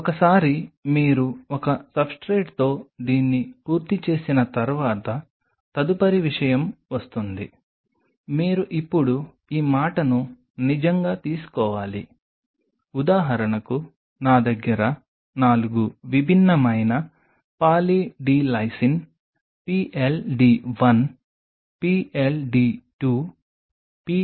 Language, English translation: Telugu, Once you have done this with one substrate the next thing comes you have to now really take this say for example, I have 4 different concentration of Poly D Lysine PLD1 PLD2 PLD3 PLD4